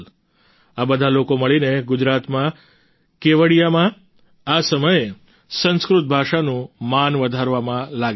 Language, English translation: Gujarati, All of them together in Gujarat, in Kevadiya are currently engaged in enhancing respect for the Sanskrit language